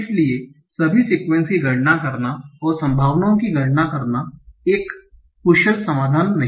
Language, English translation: Hindi, So enumerating all the sequences and computing the probabilities is not an efficient solution